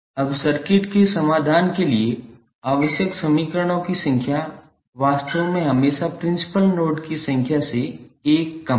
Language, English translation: Hindi, Now, the number of equations necessary to produce a solution for a circuit is in fact always 1 less than the number of principal nodes